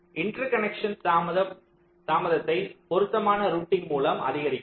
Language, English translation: Tamil, so increase of the interconnection delay i can make by appropriator routing